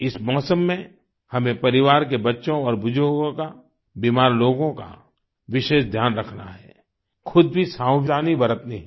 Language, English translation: Hindi, In this weather, we must take care of the children and elders in the family, especially the ailing and take precautions ourselves too